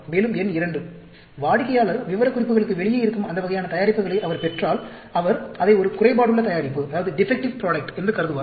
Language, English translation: Tamil, And, number 2, customer, if he gets that sort of products which are outside the specifications, he will consider it as a defective product